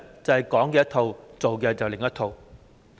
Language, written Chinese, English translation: Cantonese, 就是"講一套，做一套"。, She says one thing but does another